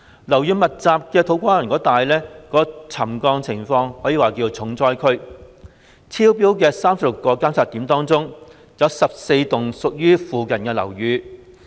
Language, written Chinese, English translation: Cantonese, 樓宇密集的土瓜灣一帶可說是沉降重災區，有36個監測點超標，涉及附近14幢樓宇。, To Kwa Wan a built - up area can be described as hard hit by settlement with 36 monitoring points recording exceedances involving 14 buildings nearby